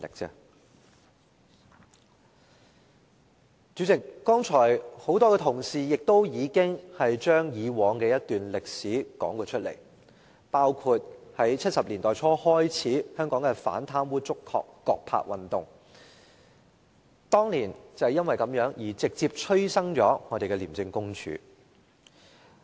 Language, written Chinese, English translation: Cantonese, 代理主席，很多同事剛才已經將以往的一段歷史重溫，包括在1970年代初，香港的"反貪污、捉葛柏"運動，當年因為這樣而直接催生了廉署。, Deputy President just now many Members have already recounted the anti - corruption history including the Oppose corruption and apprehend GODBER movement in the 1970s which directly expedited the birth of ICAC